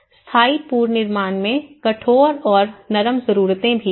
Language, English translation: Hindi, In the permanent reconstruction, there is also the hard and soft needs